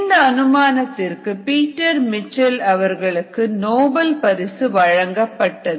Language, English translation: Tamil, in fact, peter mitchell won the nobel prize for this hypothesis